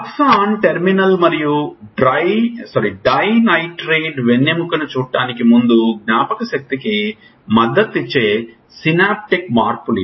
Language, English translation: Telugu, These are the synaptic changes that could support memory before learning see it Axon terminal then Dendrite spine